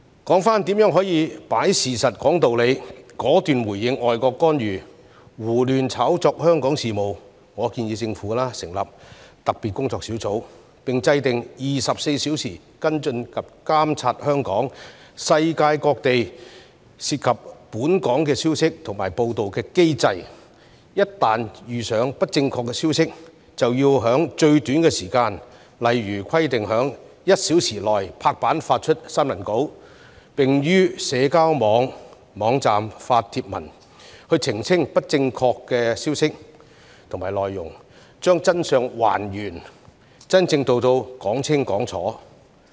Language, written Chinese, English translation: Cantonese, 說回如何可以"擺事實，講道理"，果斷回應外國干預、胡亂炒作香港事務，我建議政府成立特別工作小組，並制訂24小時跟進及監察香港、世界各地涉及本港的消息及報道的機制，一旦發現不正確的消息，便要在最短時間，例如規定於1小時內拍板發出新聞稿，並於社交網站發帖文，澄清不正確的消息和內容，將真相還原，真正做到"講清講楚"。, Let us now turn to the question of how to present the facts and expound reasons in a decisive response to the interference in and arbitrary exaggeration of Hong Kongs affairs by foreign countries . I propose that the Government should set up a special working group as well as establish a mechanism for round - the - clock follow - up and monitoring of local and global information and news coverage relating to Hong Kong . Once any misinformation is spotted a press release should be finalized and issued within the shortest possible time frame say within one hour with posts made on social media so as to clarify the incorrect information and details by restoring the truth and explaining everything really clearly